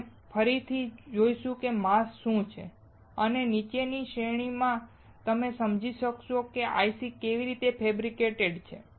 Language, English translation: Gujarati, We will see what are masks again and in the following series that you will understand how the IC is fabricated